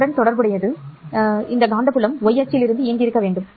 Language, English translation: Tamil, Corresponding to this, the magnetic field must be y directed